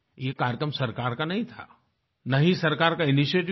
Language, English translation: Hindi, This was not a government programme, nor was it a government initiative